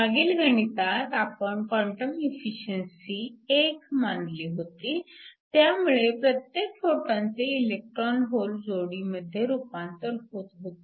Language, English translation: Marathi, In the last problem, we assume the quantum efficiency to be 1, so that every photon gets converted to an electron hole pair